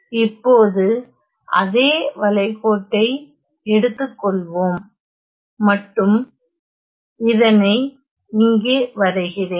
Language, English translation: Tamil, So, let us say that I have the same contour and let me just draw this